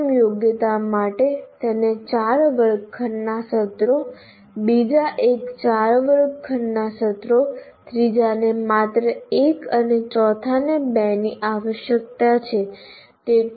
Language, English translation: Gujarati, Here we divided the first competency requires four classroom sessions, second one four classroom sessions, third one only one and fourth one requires two